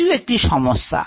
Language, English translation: Bengali, then also there is a problem